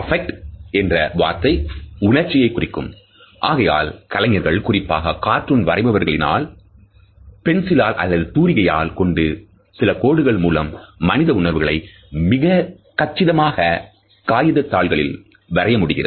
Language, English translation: Tamil, The word “affect” means emotion and therefore, artists particularly cartoonists and illustrators, can draw certain lines and with a help of a few strokes of brush or pencil can draw human emotions very appropriately or a piece of paper